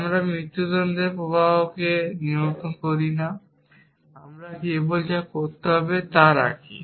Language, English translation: Bengali, We do not control the flow of execution we simply stay it what is to be done